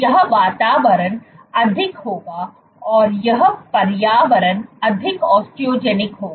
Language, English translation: Hindi, This environment will be more and this environment will be more Osteogenic